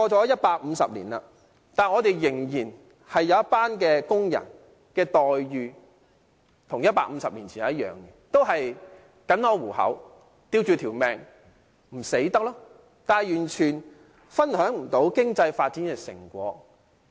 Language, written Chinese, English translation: Cantonese, 一百五十年過去，仍然有一群工人的待遇跟150年前一樣，也是僅可糊口、苟延殘喘，但完全無法分享經濟發展的成果。, One hundred fifty years have passed yet a group of workers are still treated the same way as 150 years ago earning barely enough to survive unable to share the fruits of economic development